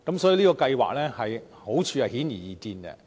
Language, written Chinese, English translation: Cantonese, 所以，這項計劃的好處顯而易見。, The merits of the programme are therefore evident